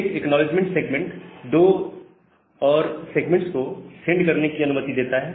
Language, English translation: Hindi, That every acknowledgement segment allows two more segments to be sent